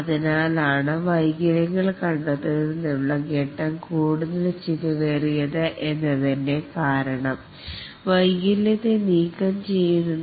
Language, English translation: Malayalam, And that's the reason why the later the phase in which the defect gets detected the more expensive is the removal of the defect